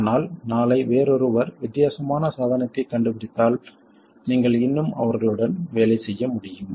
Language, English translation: Tamil, But if tomorrow someone else invents a device which is different, you should still be able to work with them